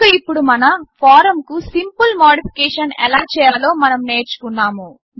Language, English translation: Telugu, So now, we have learnt how to make a simple modification to our form